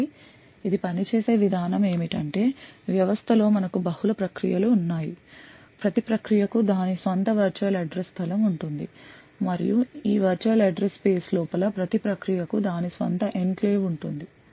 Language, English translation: Telugu, So, the way it works is that we have multiple processes present in the system each process has its own virtual address space and within this virtual address space each process could have its own enclave